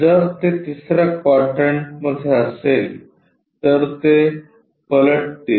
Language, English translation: Marathi, If it is in third quadrant they will flip